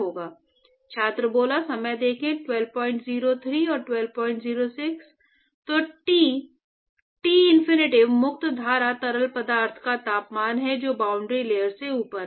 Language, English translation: Hindi, So T Tinfinity is the temperature of the free stream fluid which is above the boundary layer